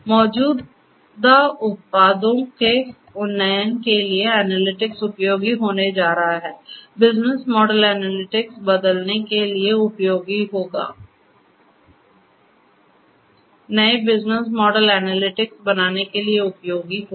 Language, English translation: Hindi, For upgrading the existing products analytics is going to be useful, for changing the business model analytics would be useful, for creating new business models analytics would be useful